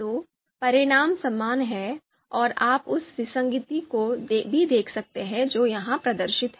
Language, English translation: Hindi, So, the results are similar and you can also see the inconsistency which is displayed here